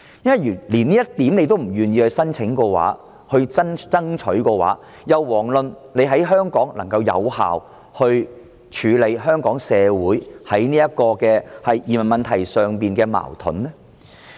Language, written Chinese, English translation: Cantonese, 如果連這一點政府都不願意提出，不去爭取的話，那就更遑論有效處理香港社會就移民問題而出現的矛盾。, If the Government is unwilling to raise this request or fight for its right we can hardly expect it to effectively handle the social conflicts in respect of new immigrants in Hong Kong